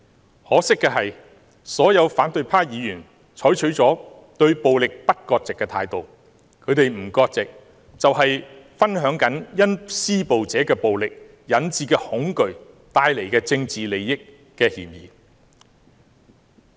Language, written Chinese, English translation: Cantonese, 很可惜的是，所有反對派議員也採取對暴力不割席的態度，他們不割席，就有分享因施暴者的暴力引致的恐懼所帶來的政治利益之嫌。, Regrettably all opposition Members choose to stand by violence . They do not sever ties with violence and thus they are suspected of sharing the political gains brought about by the fear generated by the violent acts of the rioters